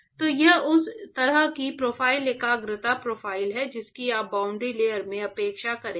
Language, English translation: Hindi, So, that is the kind of profile concentration profile that you would expect in the boundary layer